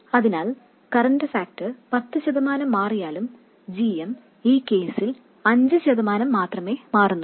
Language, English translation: Malayalam, So although the current factor changes by 10% GM changes only by 5% in this case